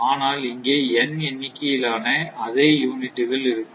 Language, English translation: Tamil, And these things are not there, but you have n number of units